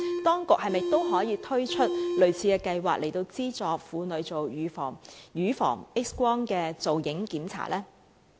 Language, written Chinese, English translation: Cantonese, 當局可否推出類似計劃，資助婦女接受乳房 X 光造影檢查呢？, Can the authorities introduce a similar programme to subsidize women to receive mammography examinations?